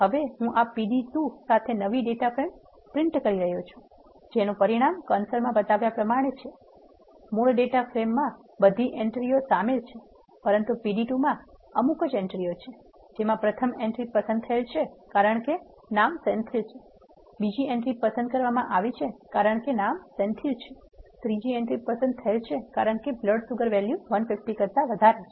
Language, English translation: Gujarati, The original data frame contains all the entries, but the new data from pd2 selects these entries because the first entry is selected because the name is Senthil, the second entry is selected because the name is Senthil the third entry is selected because the blood sugar value is greater than 150